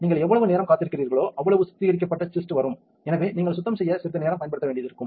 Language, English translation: Tamil, The longer you wait before, you clean the more fixated the cist will come and therefore, you may need to use a little bit of time on the cleaning